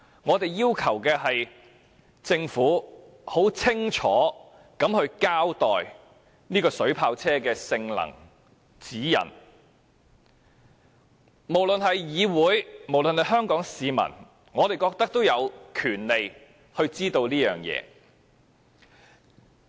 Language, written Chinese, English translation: Cantonese, 就是要求政府清楚交代水炮車的性能和指引，我們認為不論是議會或香港市民，均有權獲得這些資料。, We are only asking the Government to give an explicit account of the performance and guidelines in relation to the water cannon vehicles . We are of the view that be it the Council or the public in Hong Kong we have the right of access to such information